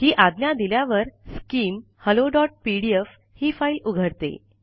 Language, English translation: Marathi, On issuing this command, skim opens the file hello.pdf